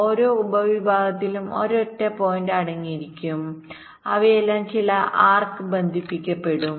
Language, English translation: Malayalam, each subset will consist of a single point and they will be all connected by some arcs